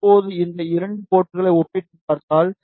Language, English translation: Tamil, ah Now if you compare these 2 ports